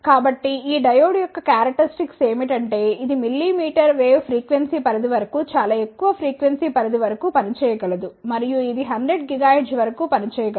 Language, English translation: Telugu, So, the characteristics of these diode is that it can operate up to very high frequency range maybe up to a very meter wave frequency range, and it can operate up to 100 gigahertz it provides very high speed operations